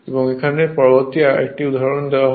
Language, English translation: Bengali, Now, next is another example